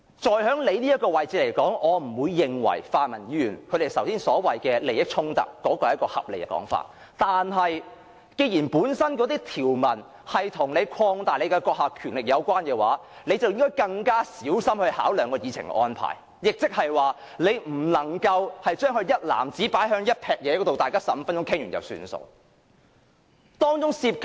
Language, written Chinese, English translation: Cantonese, 就主席的位置而言，我不認為泛民議員剛才所說的利益衝突是一種合理的說法，但既然條文本身跟擴大主席的權力有關，主席便應該更小心考量議程的安排，不能把全部修訂一籃子放在一起，讓大家每人發言15分鐘便作罷。, Insofar as the Presidents position is concerned I do not think the conflict of roles mentioned by the pan - democratic Members just now is a reasonable proposition . However since the provisions are related to the expansion of the Presidents powers the President should consider arranging the Agenda more carefully . He cannot put all the amendments together in a single basket let each Member speak for 15 minutes and consider it done